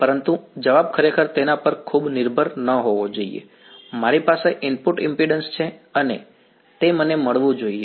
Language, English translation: Gujarati, But the answer should not really depend too much on that, I there is input impedance and that should that is what I should get